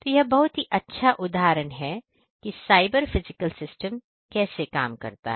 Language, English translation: Hindi, So, this is a this is a good example of how cyber physical systems work